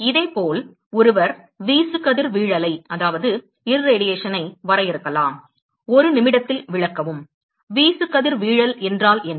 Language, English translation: Tamil, Similarly, one could define Irradiation; explain in a minute; what is the Irradiation